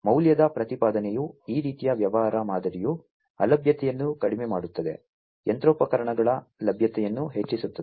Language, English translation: Kannada, The value proposition is that this kind of business model leads to reduce downtime, increased machinery availability